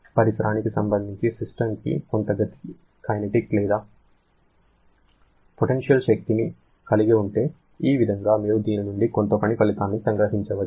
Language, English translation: Telugu, If the system is having some kinetic energy or potential energy with respect to surrounding, this way you can extract some work output from this